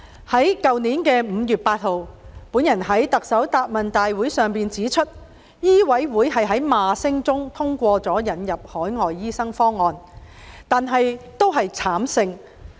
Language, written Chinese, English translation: Cantonese, 去年5月9日，我在行政長官答問會上指出，香港醫務委員會在罵聲中通過了引入海外醫生方案，但那次只是慘勝。, As I pointed out during the Chief Executives Question and Answer Session on 9 May last year while the Medical Council of Hong Kong MCHK had passed the proposal to introduce overseas doctors amid criticisms that was merely a bitter victory